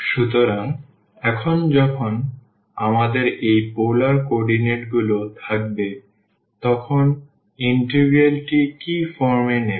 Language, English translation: Bengali, So, now, how the integral will take the form when we have this polar coordinates